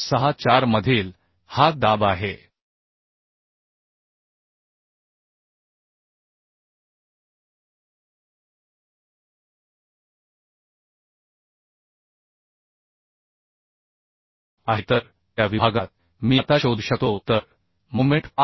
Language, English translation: Marathi, 64 so moment at that section I can now find out So moment will be 5